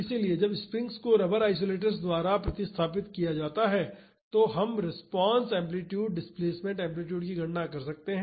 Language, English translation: Hindi, So, when the springs are replaced by rubber isolators, we can calculate the response amplitude the displacement amplitude